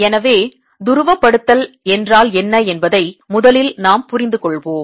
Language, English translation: Tamil, so let us first understand what does polarization mean